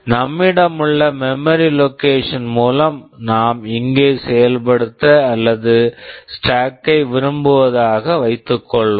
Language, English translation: Tamil, Let us assume that we have a memory location we want to implement or stack here